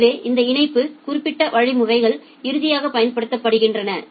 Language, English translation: Tamil, So, these link specific mechanisms are finally applied